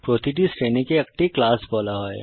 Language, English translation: Bengali, Each group is termed as a class